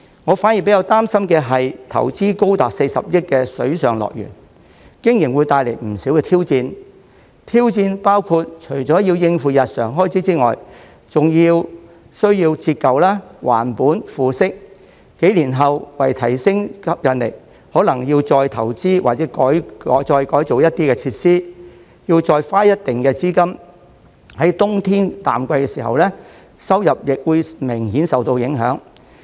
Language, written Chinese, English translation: Cantonese, 我反而比較擔心的是投資高達40億元的水上樂園，經營會帶來不少挑戰，挑戰包括除了要應付日常開支外，還需要折舊、還本、付息；幾年後，為提升吸引力，可能要再投資或改造一些設施，要再花一定的資金；在冬天淡季時，收入亦會明顯受到影響。, What I am more concerned about is the challenges to be brought by the operation of the Water World with an investment reaching as much as 4 billion including the need to meet daily expenses and also the depreciation costs capital repayment and interest payment . A few years later in order to enhance its attractiveness OP may need to make further investment or renovate some facilities which will require a certain amount of capital; and in the winter low season revenue will be significantly affected . In the face of all these pressures the management must properly formulate budgets for the short medium and long terms